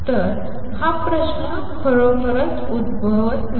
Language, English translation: Marathi, So, this question does not really arise